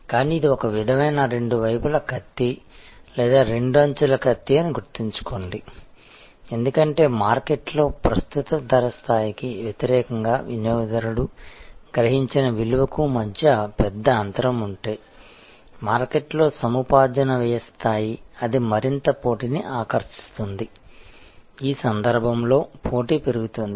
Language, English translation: Telugu, But, remember that this is a kind of a two way sword or two edged sword, because if there is a big gap between the value perceived by the customer versus the prevailing price level in the market, the acquisition cost level in the market, it attracts more and more competition, the competition goes up in this case